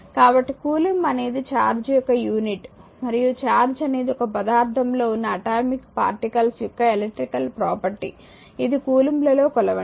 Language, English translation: Telugu, So, charge unit of charge is a coulomb and it is an electrical property of the atomic particles of which matter actually consist so, measure in coulomb